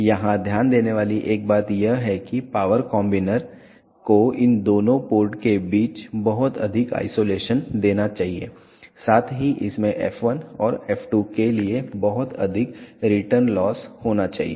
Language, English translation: Hindi, One thing to be noted here the power combiner should give a very high isolation between these two ports and also it should have a very high return loss for f 1 and f 2